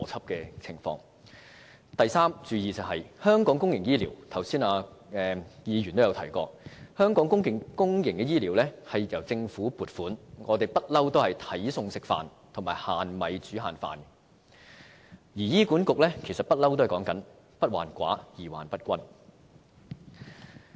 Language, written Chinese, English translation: Cantonese, 至於要注意的第三點，有議員剛才也提到香港公營醫療由政府撥款，我們向來也是"睇餸食飯"和"限米煮限飯"，而醫院管理局一直也主張"不患寡而患不均"。, As to the third point to note a Member also mentioned earlier that our public healthcare is funded by the Government . We have long been spending within our means and limiting our spending with limited resources while the Hospital Authority HA has also long been advocating that the problem lies not with scarcity but uneven distribution